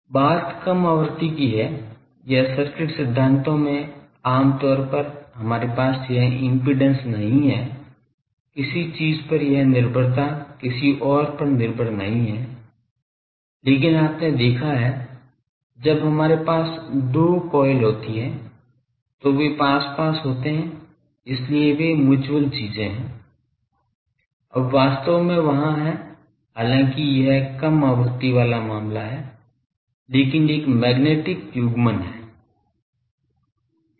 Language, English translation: Hindi, The thing is in the in the low frequency, or in the circuit theories generally we do not have this impedance of certain thing is not dependent on someone else, but you have seen when we have two coils, then they are nearby so there are mutual things, now actually there are though that is a low frequency case but there is a magnetic coupling